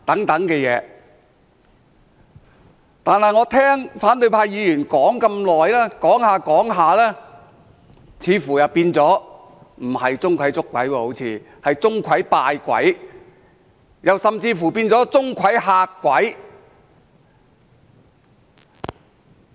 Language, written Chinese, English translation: Cantonese, 但是，我聽反對派議員說了這麼久，說着說着，似乎變成不是"鍾馗捉鬼"，而是"鍾馗拜鬼"，甚至是"鍾馗嚇鬼"。, However after listening to the speeches of opposition Members for some time I found that the title should be changed from ZHONG Kui Catching Ghosts to ZHONG Kui Worshiping Ghosts or even ZHONG Kui Scaring People